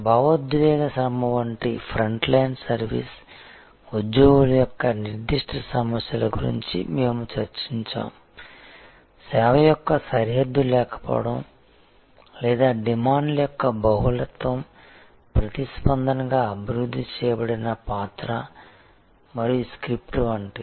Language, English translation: Telugu, We had discussed a specific problems of front line service employees like emotional labor, like the borderlessness of service or like the multiplicity of demands, the role and the script that are developed in response, all of those